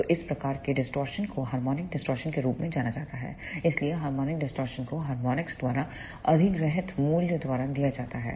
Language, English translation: Hindi, So, this type of distortion is known as the harmonic distortion, so the harmonic distortion is given by the value acquired by the harmonics